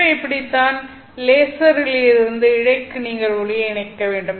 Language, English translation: Tamil, So this is how you couple light from a laser onto the fiber